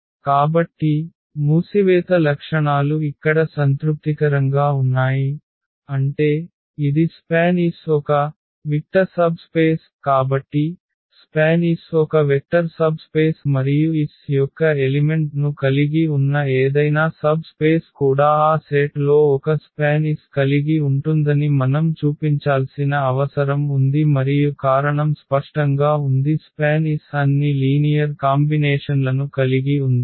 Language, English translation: Telugu, So, what we have seen here the closure properties are satisfied; that means, this is span S is a vector subspace so, span S is a vector subspace and what else we need to show that that any subspace containing the element of S is also that set will also contain a span S and the reason is clear because this is span S contains all the linear combinations